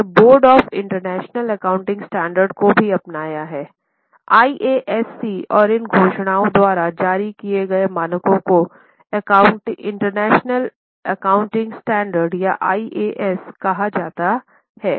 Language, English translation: Hindi, It has also adopted the body of standards issued by Board of International Accounting Standard IASC and these pronouncements are called as International Accounting Standards or IAS